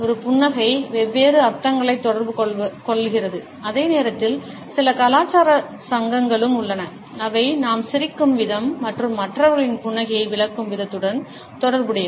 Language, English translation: Tamil, A smiles communicate different connotations and at the same time there are certain cultural associations which are also associated with the way we smile and the way in which we interpret the smile of other people